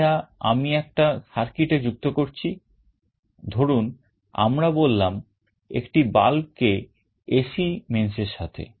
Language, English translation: Bengali, This I am connecting to a circuit, let us say a bulb to the AC mains